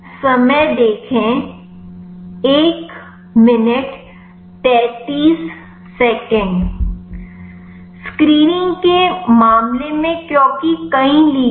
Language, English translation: Hindi, In the case of screening because several ligands